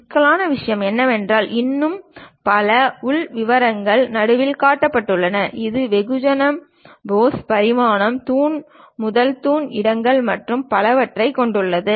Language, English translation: Tamil, The complicated thing though having many more inner details shown at the middle; it contains mass, pose, the dimensions, pillar to pillar locations, and many things